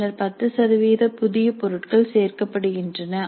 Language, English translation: Tamil, Then 10% of new items are added